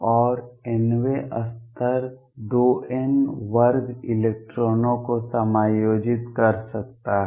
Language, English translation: Hindi, And n th level can accommodate 2 n square electrons